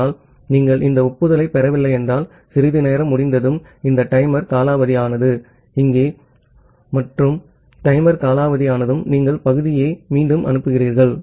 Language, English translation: Tamil, But if you do not receive this acknowledgement, then after some timeout this timer expire say, here and once the timer expires, you retransmit the segment